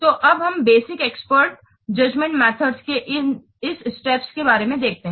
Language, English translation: Hindi, So now let's see about this steps of the basic expert judgment method